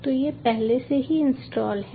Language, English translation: Hindi, so its already installed